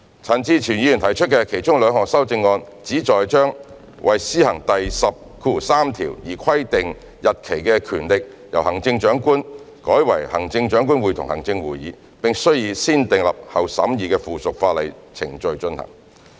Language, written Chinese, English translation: Cantonese, 陳志全議員提出的其中兩項修正案旨在把為施行第103條而規定日期的權力由行政長官改為行政長官會同行政會議，並須以"先訂立後審議"的附屬法例程序進行。, Two of Mr CHAN Chi - chuens amendments seek to confer the power to stipulate a date for the purposes of clause 103 to the Chief Executive in Council instead of the Chief Executive and to require the relevant subsidiary legislation to undergo negative vetting procedure